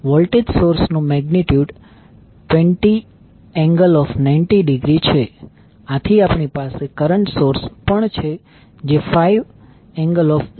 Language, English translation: Gujarati, The voltage source is having magnitude as 20 angle 90 degree and we also have one current source that is 5 angle 0